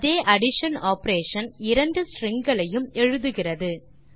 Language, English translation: Tamil, The same addition operation performs the concatenation of two strings